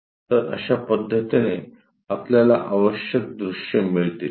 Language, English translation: Marathi, This is the way, we get the views required views